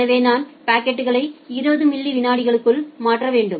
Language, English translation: Tamil, So, I have to transfer the packet within 20 millisecond